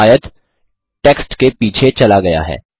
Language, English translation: Hindi, Here the rectangle has moved behind the text